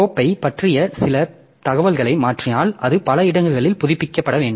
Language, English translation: Tamil, If some information changes about the file it had to be updated in several places